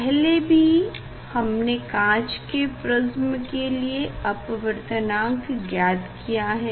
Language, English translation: Hindi, refractive index we have earlier for glass prism we have found the refractive index